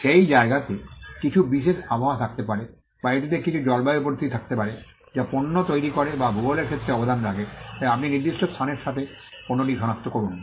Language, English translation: Bengali, That place may have certain special weather, or it could have some climatic conditions which makes the product or contributes the geography contributes to the product, so you identify the product with a particular place